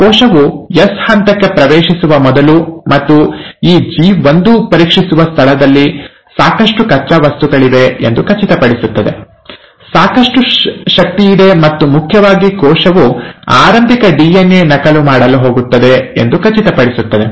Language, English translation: Kannada, Before the cell commits to enter into S phase, and in this G1 checkpoint, it will make sure that there is sufficient raw material, there is sufficient energy and most importantly, the cell will make sure that the initial DNA that it's going to duplicate